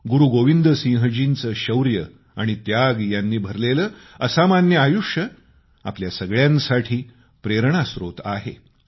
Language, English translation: Marathi, The illustrious life of Guru Gobind Singh ji, full of instances of courage & sacrifice is a source of inspiration to all of us